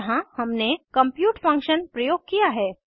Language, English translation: Hindi, Here we have used the compute function